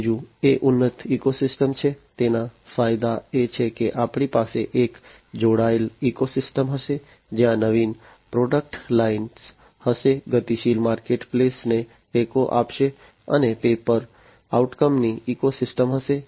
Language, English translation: Gujarati, Third is enhanced ecosystem, the benefits are that we are going to have a connected ecosystem, where there are going to be innovative product lines, supporting dynamic marketplace, and there is going to be pay per outcome kind of ecosystem